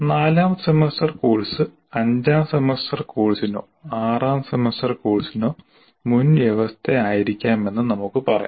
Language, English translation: Malayalam, Let's say a fourth semester course can be prerequisite to a fifth semester course or a sixth semester course